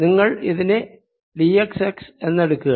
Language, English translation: Malayalam, you still take it to be d x x